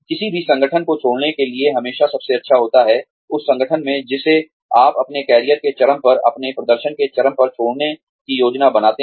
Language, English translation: Hindi, It is always best to leave any organization that you plan to leave, at the peak of your career, at the peak of your performance, in that organization